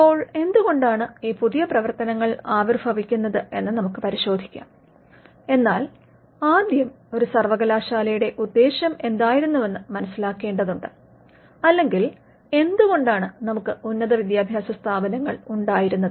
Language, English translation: Malayalam, Now, we will look at why these new functions have come, but first we need to understand what’s the purpose of a university was or why did we have higher learning institutions in the first place